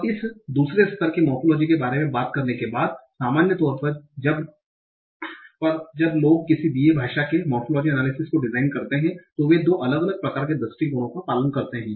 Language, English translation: Hindi, Now, so after talking about this two level morphology, in in general when people design the morphological analysis for a given language, they follow two different kind of approaches